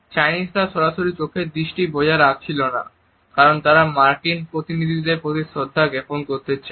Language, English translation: Bengali, Chinese did not maintained a direct eye to eye contact because they want it to pay certain respect to the American delegation